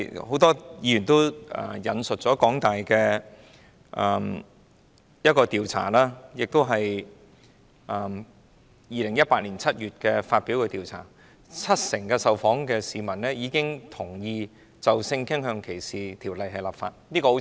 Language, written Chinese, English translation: Cantonese, 很多議員也引述了香港大學在2018年7月發表的調查報告，指七成受訪市民已經同意就性傾向歧視條例立法。, Many Members have quoted the survey report released by the University of Hong Kong in July 2018 as saying that 70 % of the respondents agreed to legislation against sexual discrimination